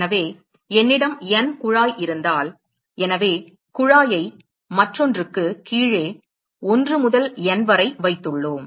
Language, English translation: Tamil, So, if I have N tube; so, we have tube placed one below the other 1 to N